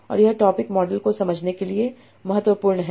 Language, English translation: Hindi, And this is very important to understand the topic models